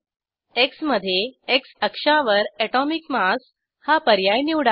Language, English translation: Marathi, X: I will select Atomic mass on X axis